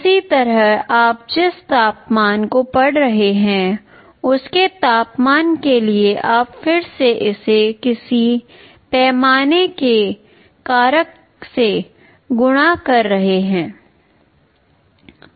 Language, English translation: Hindi, Similarly for the temperature you are reading the temperature, you are again multiplying it by some scale factor here